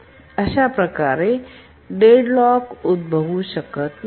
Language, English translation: Marathi, So, deadlock cannot occur